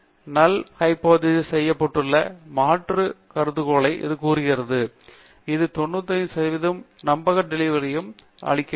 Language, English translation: Tamil, It is also telling you the alternative hypothesis against which the null hypothesis has been tested, and it also gives you the 95 percent confidence interval